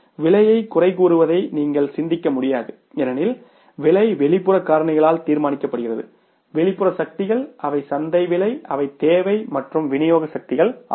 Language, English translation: Tamil, You cannot think of controlling the price because price is decided by the external factors, external forces and they are the market forces